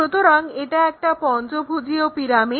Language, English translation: Bengali, So, a pyramid is a pentagonal pyramid